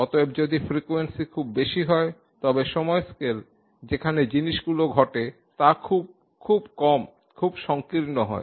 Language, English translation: Bengali, Therefore if the frequency is very high, the time scale in which things happen is very, very small, very narrow